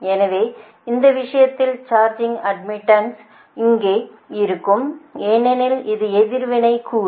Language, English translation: Tamil, already, in this case the charging admittance term will be there, because that is reactive component, right